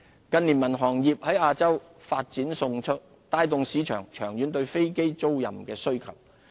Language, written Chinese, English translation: Cantonese, 近年民航業在亞洲發展迅速，帶動市場長遠對飛機租賃的需求。, Rapid development of the civil aviation industry in Asia in recent years has generated a long - term demand for aircraft leasing in the market